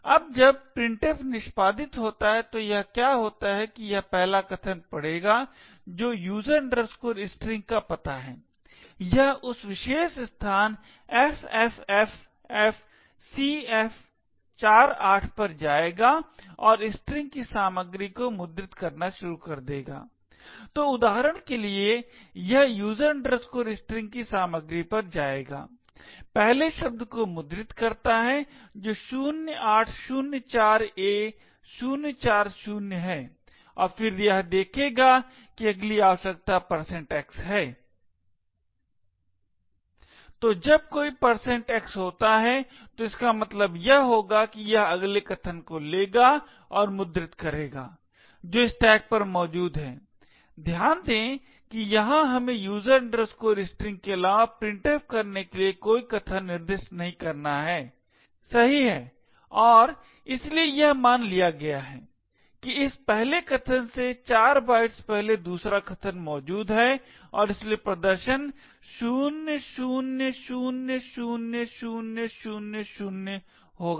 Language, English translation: Hindi, Now when printf executes what happens is that it would read is first argument that is the address of user string, it would go to that particular location ffffcf48 and start to print the contents of the strings, so for example it would go to the contents of user string print the first word which is 0804a040 and then it would see that the next requirement is a %x, so when there is a %x it would mean that it would take and print the next argument which is present on the stack, note that here we have not to specified any arguments to printf besides user string, right and therefore it is assume that 4 bytes prior to this first argument is where the second argument is present and therefore the display would be 00000000